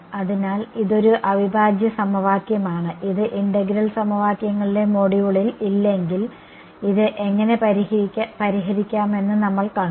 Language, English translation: Malayalam, So, this is a integral equation which in the module on integral equations if no we have seen how to solve this